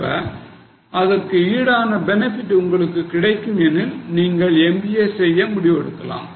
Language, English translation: Tamil, Now, if you are getting commensurate benefit, you should take a decision to do MBA